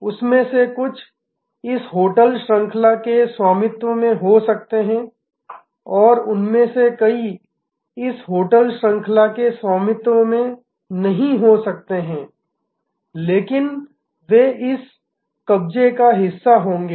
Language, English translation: Hindi, Some of them may be owned by this hotel chain and many of them may not be owned by this hotel chain, but they will be part of this constellation